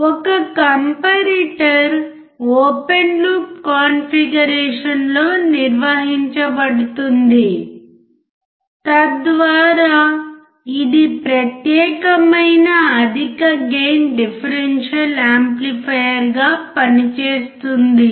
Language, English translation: Telugu, A comparator is operated in an open loop configuration thus act as a specialized high gain differential amplifier